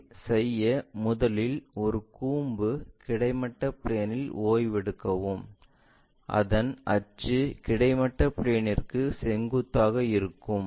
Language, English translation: Tamil, To do that first of all make a cone resting on horizontal plane, so that it axis is perpendicular to horizontal plane